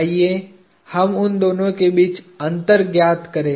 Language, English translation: Hindi, Let us differentiate between those two